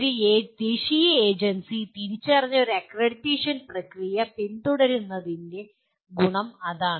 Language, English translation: Malayalam, That is the advantage of following an accreditation process identified by a national agency